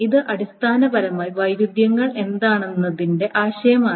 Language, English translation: Malayalam, But this is essentially the concept of what the conflicts are